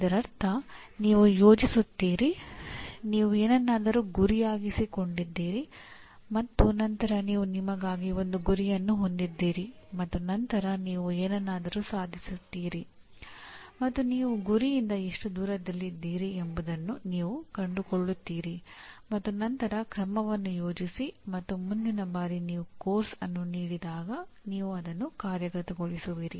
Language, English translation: Kannada, That means you plan, you aim at something and then you set a target for yourself and then you attain something and you find out how far you are from the target and then plan action and implement it next time you offer the course